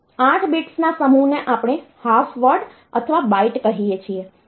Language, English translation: Gujarati, A group of 8 bits we call it a half word or a byte